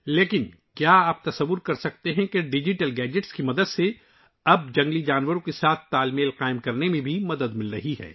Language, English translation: Urdu, But can you imagine that with the help of digital gadgets, we are now getting help in creating a balance with wild animals